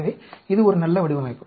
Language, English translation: Tamil, So, this is a good design